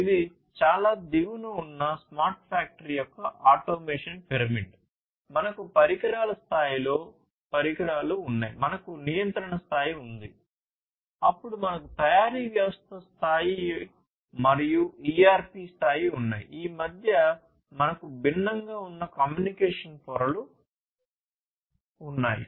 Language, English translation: Telugu, So, this is the automation pyramid of a smart factory at the very bottom, we have the devices this is the device level, then we have the control level, then we have the manufacturing system level, and the ERP level in between we have all these different communication layers